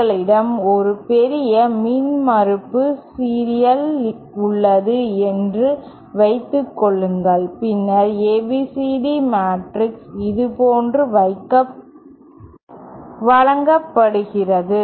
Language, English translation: Tamil, Say we have a lumped impedance in series, then it is ABCD matrix is given like this